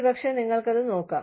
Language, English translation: Malayalam, Maybe, you can look it up